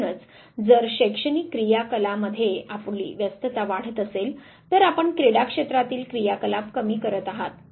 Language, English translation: Marathi, So, if your engagement in scholastic activities increases you are activity in the sports field diminishes